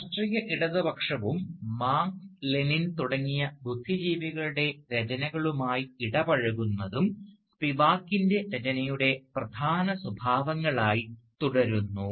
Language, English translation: Malayalam, And indeed, political leftism and engagement with the writings of intellectuals like Marx and Lenin, have remained prominent characteristics of Spivak's work